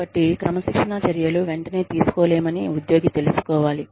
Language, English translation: Telugu, So, the employee should know, that disciplinary action will not be taken, immediately